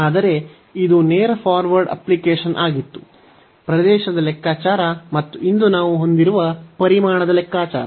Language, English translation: Kannada, But this was a straight forward application; the computation of the area and the computation of the volume which we have cover today